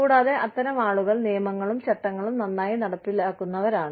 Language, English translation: Malayalam, And, such people are excellent enforcers of rules and laws